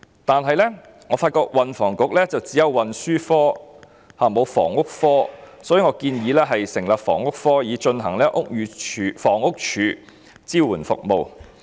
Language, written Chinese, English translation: Cantonese, 然而，我發現運輸及房屋局只有運輸科，卻沒有房屋科，所以我建議成立房屋科，以執行房屋署的支援服務。, Yet I am aware that there is only the Transport Branch but not a Housing Branch under the Transport and Housing Bureau . As such I suggest that a Housing Branch be set up to deliver the support services currently provided by HD